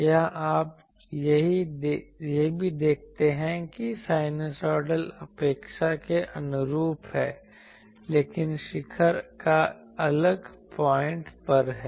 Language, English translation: Hindi, Here also you see that sinusoidal is as expected, but the peak is at a different point